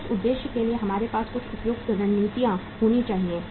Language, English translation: Hindi, So for that purpose we should have some appropriate strategies